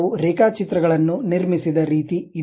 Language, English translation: Kannada, This is the way we have constructed line diagrams